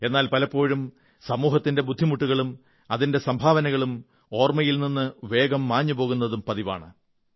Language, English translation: Malayalam, But sometimes it so happens, that the efforts of the society and its contribution, get wiped from our collective memory